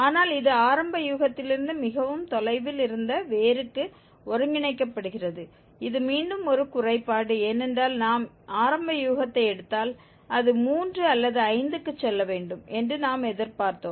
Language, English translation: Tamil, But this is converging to the root which was much far from the initial guess which is again a drawback because we expected that if we take the initial guess 4, it should go to 3 or 5